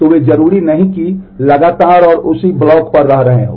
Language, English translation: Hindi, So, they are not necessarily consecutive and residing on the on the same block